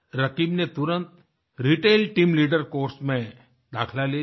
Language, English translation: Hindi, Rakib immediately enrolled himself in the Retail Team Leader course